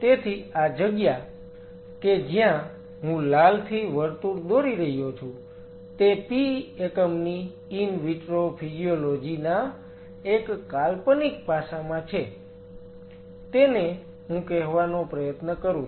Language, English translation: Gujarati, So, this sight the one I am circling with red are the one which are the in vitro physiology of the one imaginary aspect the P unit; what I am trying to telling